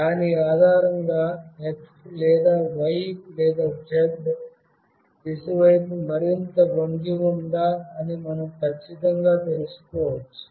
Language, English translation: Telugu, Based on that we can accurately find out whether it is tilted more towards x, or y, or z direction